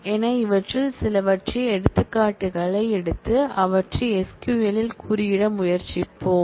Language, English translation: Tamil, So, we would take examples of some of these and try to code them in the SQL